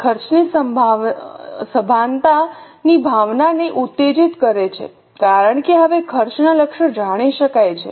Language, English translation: Gujarati, It inculcates a feeling of cost consciousness because now the targets of costs are known